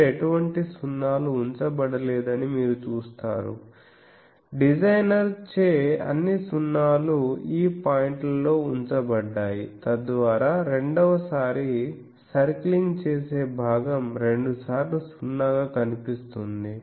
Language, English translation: Telugu, So, here you see that no 0s are kept here so, the all the 0s you see the designer has placed in these points so that the second time the portion that is circling that is seeing a twice 0